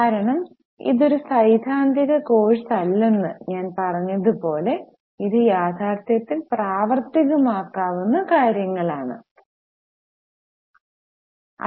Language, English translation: Malayalam, Because as I have said this is not a theoretical course, it should have an application for the actual companies